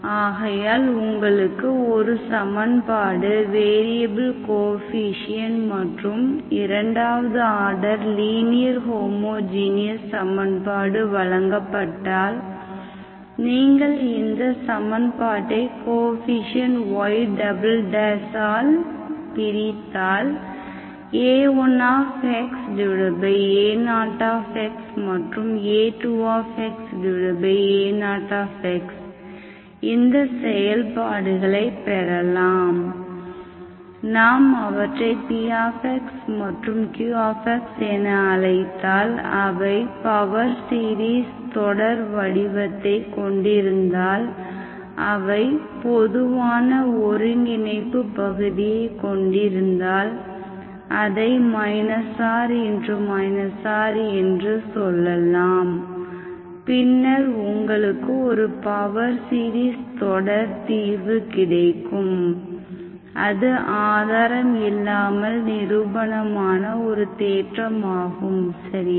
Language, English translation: Tamil, So if you are given an equation second order linear homogeneous equation but with variable coefficients and you divide this coefficient of y double dash , then what you have is that A1 by A0, A2 by A0, these functions, if we call them as px and qx, if this px and qx are having power series representations, which have a common convergence area, let us say minus R to R